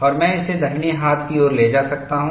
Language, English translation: Hindi, And I can take this to right hand side, I can knock off this